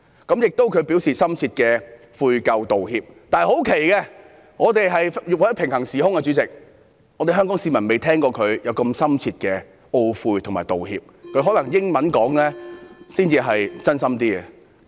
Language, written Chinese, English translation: Cantonese, 她亦表示深切的悔咎道歉，但奇怪地，我們生活在平行時空，香港市民不曾聽過她作出如此深切的懊悔和道歉，可能她用英語發言時真心一點。, She also apologized with deep regret . But it is weird that Hong Kong people have never heard such deep regret or apology of any kind from her as if we are living in a parallel universe . She may be more sincere when she speaks in English